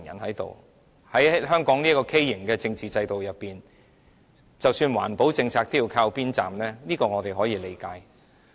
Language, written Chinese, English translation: Cantonese, 在香港這個畸形的政治制度裏面，即使環保政策也要靠邊站，這我們可以理解。, Under the deformed political system in Hong Kong even the environmental protection policies have to be brushed aside . I can understand this